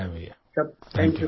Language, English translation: Hindi, Many good wishes Bhaiya